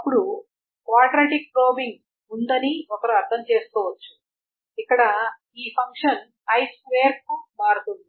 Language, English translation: Telugu, Then one can understand there is a quadratic probing where this function changes to I square